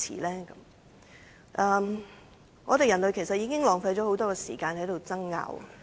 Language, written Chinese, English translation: Cantonese, 其實，人類浪費了許多時間在爭拗上。, In fact we human race have wasted a lot of time on disputes